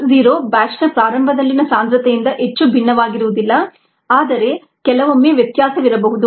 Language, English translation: Kannada, ok, x zero may not be very different from the concentration at the start of the batch, but ah, sometimes there might be a difference